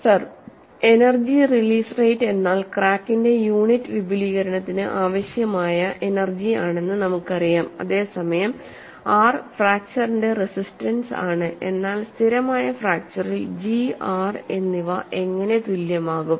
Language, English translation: Malayalam, We know that energy release rate is energy required for unit extension of crack, whereas r is a resistance of fracture, but how G and R are equally in stable fracture